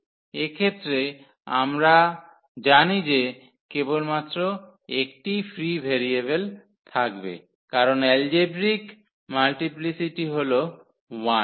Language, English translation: Bengali, So, in this case we know that there will be only one free variable definitely because the algebraic multiplicity is 1